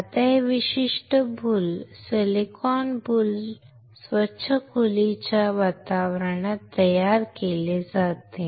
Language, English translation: Marathi, Now, this particular boules, silicon boule is manufactured in a clean room environment